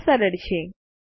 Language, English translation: Gujarati, This is simple